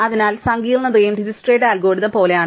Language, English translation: Malayalam, So, the complexity also is similar to Dijkstra's algorithm